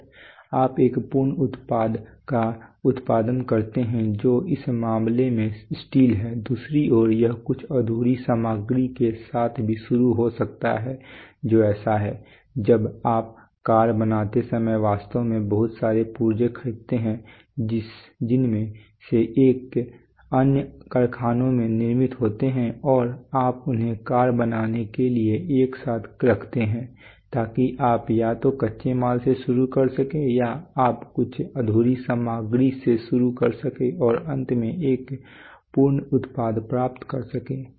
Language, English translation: Hindi, And you produce a finished product which in this case is steel, on the other hand it could also also start with some unfinished material which is so you so when you when you when you build a car you actually buy lots of parts from which are which are manufactured in other factories and you put them together to build the car so you could either start from a raw material or you could start from some unfinished material and then finally land up on a finished product